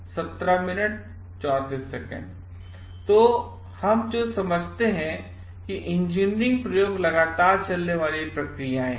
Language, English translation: Hindi, So, what we understand we have to understand like engineering experiments are ongoing process